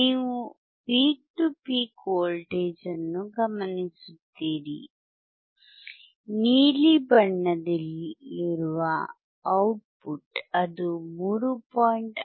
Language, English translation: Kannada, So, you observe the peak to peak voltage, at the output which is in blue colour which is 3